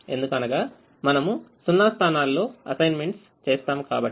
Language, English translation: Telugu, because we make assignments in zero positions